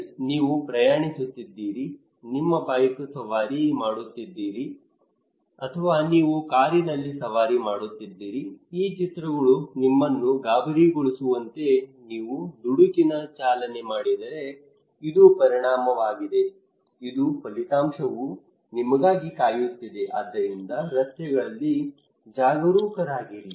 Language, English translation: Kannada, Okay that you can you are travelling you were riding bike, or you were riding car you can see on roads that these posters that is alarming you that if you do rash driving this is the consequence, this is the result is waiting for you so be careful okay